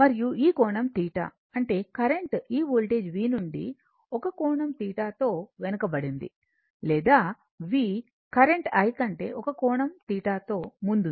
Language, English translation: Telugu, And this angle is theta, that means current I is lagging from this voltage V by an angle theta or V is leading the current I by an angle theta right